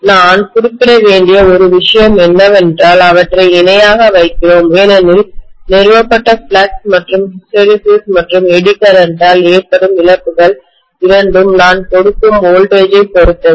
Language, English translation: Tamil, One thing I have to mention is, we put them in parallel because both of the quantities, that is the flux established as well as the losses due to hysteresis and Eddy current, both of them depend upon the voltage that I am applying